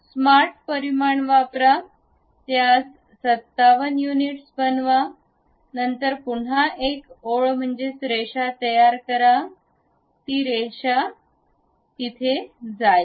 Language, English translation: Marathi, Use smart dimensions, make it 75 units, then again construct a line, goes there